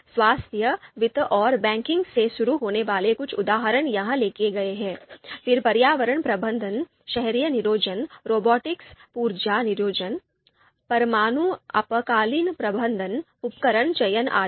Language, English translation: Hindi, Few examples are written here starting with health, finance and banking, then environmental management, urban planning, robotics, energy planning, nuclear emergency you know management, equipment selection